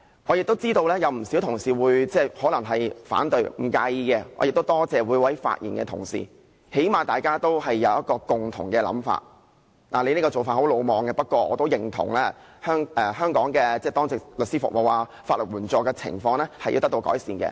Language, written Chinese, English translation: Cantonese, 我知道不少同事會反對，但我不介意，亦多謝各位發言的同事，起碼大家能達至一個共同想法，儘管你這做法很魯莽，不過，我都認同香港的當值律師服務，法援情況需要得到改善這一點。, But I do not mind . I am also thankful to those Members who have spoken because we have at least reached a common thought . Even though some Members may think that I am reckless they still agree that the duty lawyer and legal aid services in Hong Kong are in need of improvement